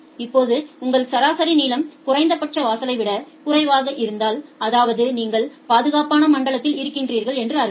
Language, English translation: Tamil, Now, if your average queue length is less than the minimum threshold; that means, you are in a safe zone